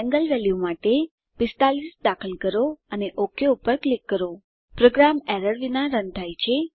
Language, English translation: Gujarati, Enter 45 for angle value and click OK Program runs without errors